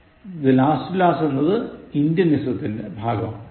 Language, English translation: Malayalam, Last to last is Indianism